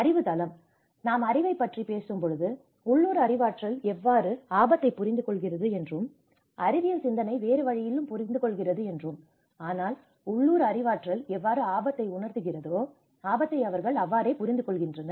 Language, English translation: Tamil, The knowledge: when we talk about knowledge, how local knowledge understand risk because the scientific knowledge understands in a different way but how the local knowledge have perceived the risk, how they understand the risk